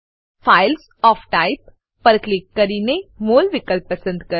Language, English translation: Gujarati, Click on Files of Type and select MOL option